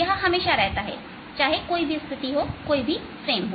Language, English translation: Hindi, this remains in where, no matter which frame i am in